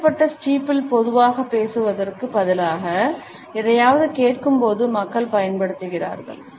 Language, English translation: Tamil, The lowered steeple is used by people when normally they are listening to something instead of speaking